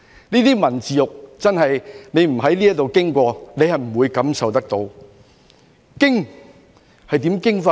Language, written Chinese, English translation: Cantonese, 這些文字獄，真的未在此經歷過是不會感受得到的。, Such literary inquisitions are really something no one can relate to without having experienced them here